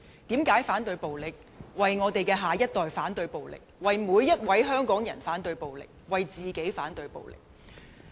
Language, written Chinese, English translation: Cantonese, 因為我們要為下一代反對暴力，為香港人反對暴力，為自己反對暴力。, It is because we must oppose violence for the next generation for Hong Kong people and also for ourselves